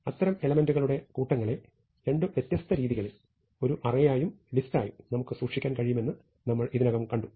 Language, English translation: Malayalam, So, we already saw that we can keep such sequences in two different ways, as arrays and as lists